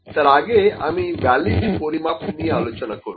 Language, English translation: Bengali, I will first discuss before that what is a valid measurement